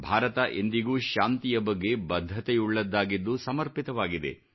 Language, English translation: Kannada, India has always been resolutely committed to peace